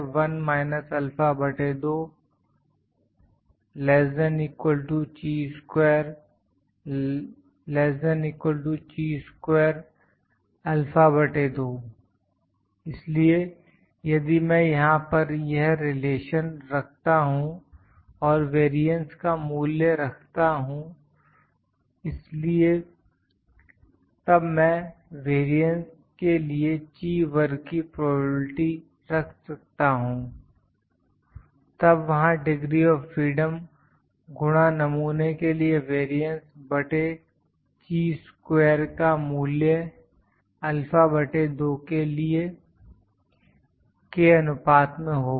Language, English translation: Hindi, So, if I put this relation this relation here and put the value of variance, so then I can put the Chi square probability for the variance would be there then ratio of the degrees of freedom into variance for sample over Chi square value Chi square value for alpha by 2